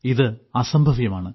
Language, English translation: Malayalam, This is just impossible